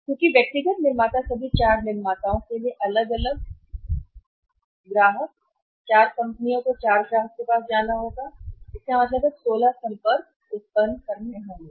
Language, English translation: Hindi, Because individual manufacturer all the four manufacturers had to go to the individual for customers, 4 companies have to go to the 4 customer it means 16 contacts will arise